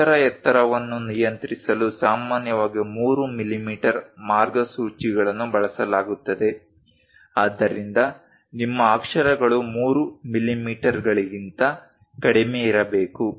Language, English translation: Kannada, To regulate lettering height, commonly 3 millimeter guidelines will be used; so your letters supposed to be lower than 3 millimeters